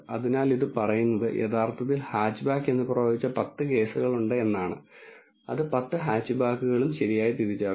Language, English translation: Malayalam, So, this says that predicted as hatchback truly hatchback there are 10 cases, it has identified all the 10 hatchbacks correctly